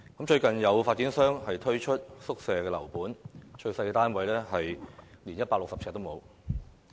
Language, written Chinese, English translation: Cantonese, 最近有發展商推出宿舍樓盤，最小的單位面積不足160平方呎。, Recently a property project of dormitories has been launched in the market with the smallest unit less than 160 sq ft